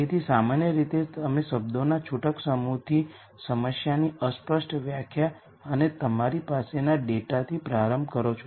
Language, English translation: Gujarati, So, typically you start with a loose set of words a vague de nition of a problem and the data that you have